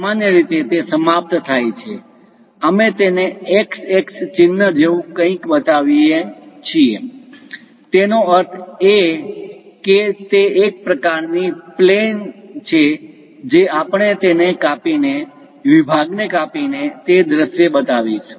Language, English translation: Gujarati, Usually, it ends, we show it something like a mark x x; that means it is a kind of plane which we are going to slice it, cut the section and show that view